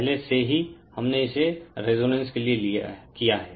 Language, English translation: Hindi, Already we have done it for resonance